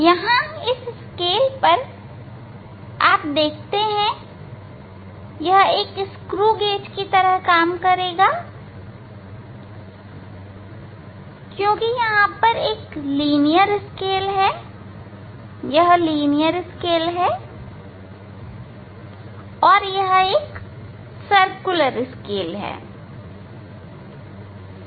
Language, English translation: Hindi, in this scale you can see here it is it will work like a screw gauge because, here this is the linear scale, this is the linear scale and this is a circular scale, ok